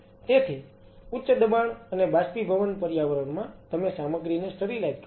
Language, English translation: Gujarati, So, in a high pressure and in a vaporized environment you sterilize the stuff